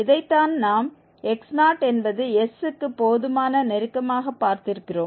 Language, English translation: Tamil, This is what we have seen for x naught sufficiently close to s